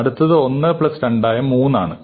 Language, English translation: Malayalam, The next one is 3 which is 1 plus 2 and so on